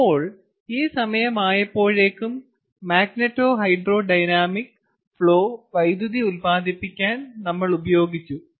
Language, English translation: Malayalam, all right, so by this time, the magneto hydro dynamic flow has already been used to generate electricity